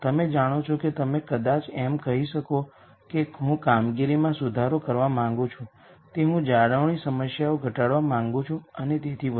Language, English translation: Gujarati, You know you might simply say I want improve performance are I want to minimize maintenance problems and so on